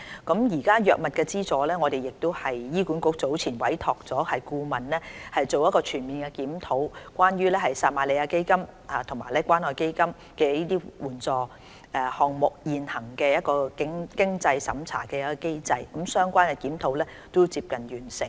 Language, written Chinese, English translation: Cantonese, 關於藥物資助，醫管局早前委託顧問全面檢討撒瑪利亞基金和關愛基金醫療援助項目現行的經濟審查機制，相關檢討已接近完成。, About drug subsidies HA has commissioned a consultancy study to comprehensively review the existing means test of the Samaritan Fund and Community Care Fund Medical Assistance Programmes